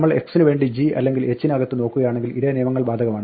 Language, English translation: Malayalam, Of course, the same rules apply so if we look up x inside g or h